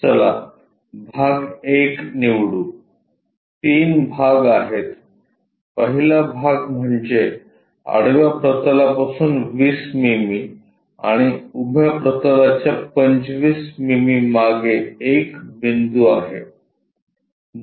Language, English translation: Marathi, Let us pick the part 1, there are three parts the first part is there is a point A 20 mm above horizontal plane and 25 mm behind vertical plane